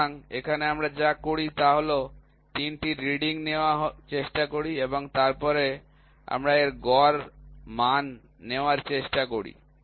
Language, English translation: Bengali, So, here also what we do is we try to take 3 readings and then we try to take the average value of it